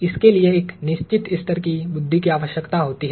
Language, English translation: Hindi, That requires a certain level of intelligence